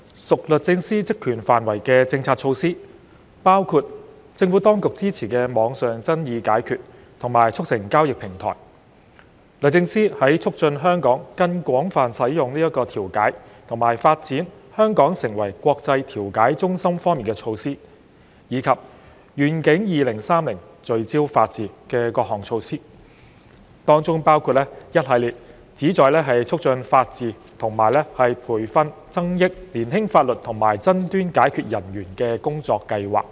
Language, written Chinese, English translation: Cantonese, 屬律政司職權範圍的政策措施，包括政府當局支持的網上爭議解決和促成交易平台；律政司在促進香港更廣泛使用調解和發展香港成為國際調解中心方面的措施；以及"願景 2030— 聚焦法治"的各項措施，當中包括一系列旨在促進法治及培訓增益年輕法律和爭端解決人員的工作和計劃。, The relevant policy initiatives which fell under the purview of the Department of Justice DoJ included the online dispute resolution and deal - making platform supported by the Administration DoJs initiatives to promote the use of mediation in Hong Kong and to develop Hong Kong as an international mediation centre and the various measures under Vision 2030 for Rule of Law such as the range of work and programmes to empower youths in advancing the rule of law and enriching young legal and dispute resolution practitioners for professional development